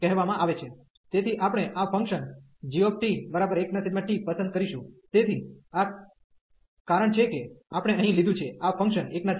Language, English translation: Gujarati, So, we will choose therefore this function g t as 1 over t, so that is the reason we have taken here, this function 1 over t